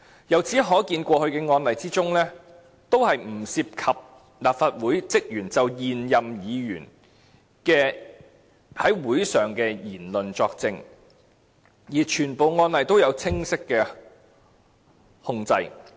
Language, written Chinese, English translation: Cantonese, 由此可見，在過去的案例中，也是不涉及立法會職員就現任議員在會議上所作出的言論作證，而且全部案例也有清晰控制。, The above tells us that cases in the past involved no instances of staff of the Legislative Council giving evidence in respect of the matters said at meetings by any Members in office and that all cases are under the control of a clear system